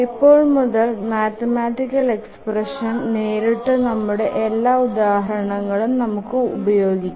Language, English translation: Malayalam, So from now onwards all our examples we will use the mathematical expression directly